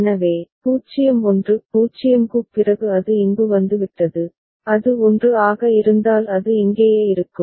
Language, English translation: Tamil, So, 0 1; after 0 it has got here, if it is 1 then it will stay back here